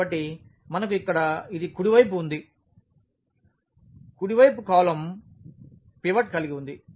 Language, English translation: Telugu, So, we have this right here right most column has a pivot